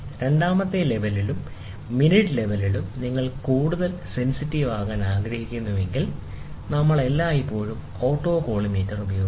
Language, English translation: Malayalam, So, if you want to be more sensitive in second level and the minute level, then we always use autocollimator